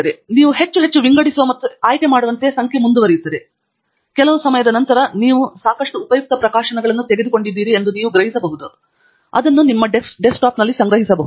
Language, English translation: Kannada, And the number will keep going up as you perform more and more sorting and selection; and at some point of time you may say that you have had enough of useful publications picked up, so that you can collect them on to your desktop